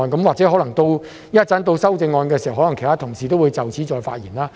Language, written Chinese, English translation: Cantonese, 或者稍後辯論修正案的時候，其他同事可能會就此再次發言。, Perhaps other colleagues may speak on this point again during the debate on the amendments later